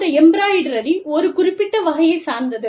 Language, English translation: Tamil, And, the embroidery is of, a specific kind